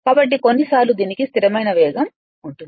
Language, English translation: Telugu, So, sometimes we call it has a constant speed right